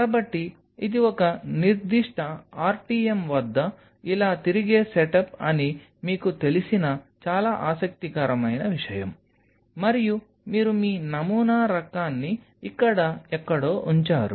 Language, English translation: Telugu, So, this is a very interesting thing which kind of you know it is a setup which rotates like this at a particular RTM, and you have your sample kind of kept somewhere out here